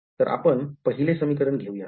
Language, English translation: Marathi, So, let us take of the first of these equations